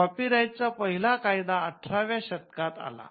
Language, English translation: Marathi, So, we find the copyright the initial copyright law that came into being in the 18th century